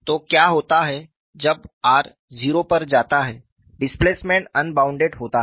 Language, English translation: Hindi, So, when r goes to 0, displacement goes to 0